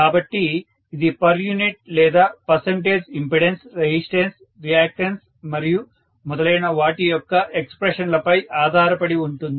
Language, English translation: Telugu, So, this is based on per unit or percentage expression of the impedances, resistances, reactance’s and so on and so forth